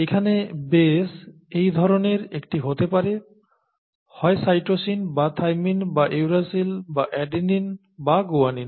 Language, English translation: Bengali, So this base here could be one of these kinds, either a cytosine or a thymine or uracil or an adenine or a guanine, okay